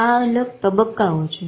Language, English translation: Gujarati, These are various stages